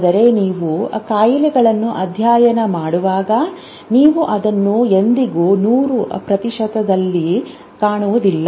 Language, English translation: Kannada, But when you study illnesses, you never find it 100% rates